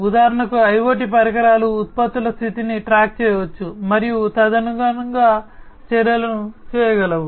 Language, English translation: Telugu, For example, IoT devices can keep track of the status of the products and perform the actions accordingly